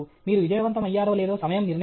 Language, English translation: Telugu, Time will decide whether you are successful or not